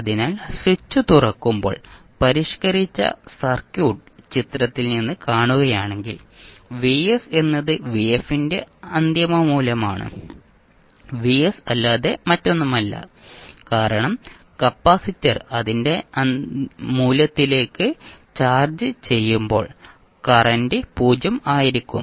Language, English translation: Malayalam, Now Vf is the forced or steady state response so if you see from the figure which is the modified circuit when the switch is opened so the Vs the final value that is value of Vf is nothing but Vs because when the capacitor is charged to its value the current will be 0